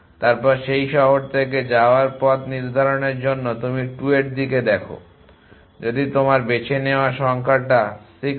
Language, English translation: Bengali, Then for deciding as to way to go from that city you look at the 2 toward if your chosen 6